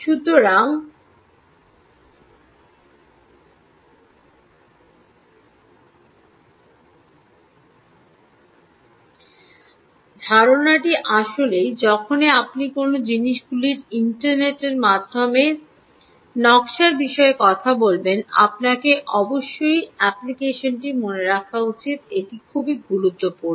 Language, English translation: Bengali, so the idea really is, when you talk about the design for internet of things, you have to keep in mind the application